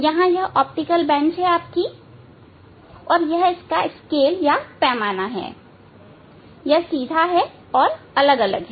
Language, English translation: Hindi, here this is the optical bench it has scale; it has scale and it has upright different upright